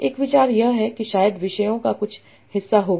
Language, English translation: Hindi, And idea is that probably there will be some sort of different themes